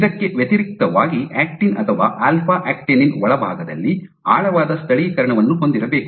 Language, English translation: Kannada, In contrast actin or alpha actinin should have a broad localization deep inside